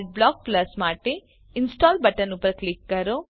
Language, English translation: Gujarati, Click on the Install button for Adblock Plus